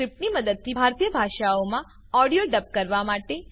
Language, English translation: Gujarati, To dub the audio in Indian Languages using the script